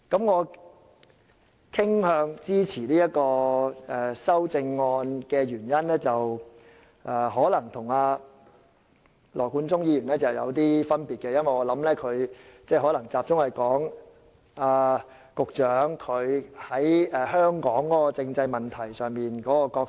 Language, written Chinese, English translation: Cantonese, 我傾向支持這項修正案的原因可能與羅冠聰議員有些不同，我相信他的着眼點可能集中於局長在香港政制問題上擔當的角色。, The reason why I tend to support this amendment may be slightly different from Mr Nathan LAWs reason . His focus may be the role of the Secretary for Constitutional and Mainland Affairs in the constitutional development of Hong Kong